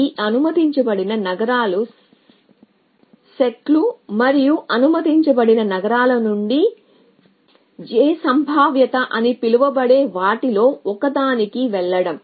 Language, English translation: Telugu, So, these only set of allowed cities and from the allowed cities we chooses is to move to 1 of them call j probabilistically